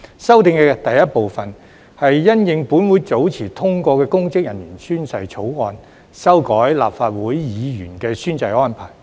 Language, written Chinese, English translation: Cantonese, 修訂的第一部分，是因應本會早前通過的公職人員宣誓法案，修改立法會議員的宣誓安排。, The first group of amendments seeks to amend the oath - taking arrangement for Members of the Legislative Council consequential to the passage of the bill on oath taking by public officers earlier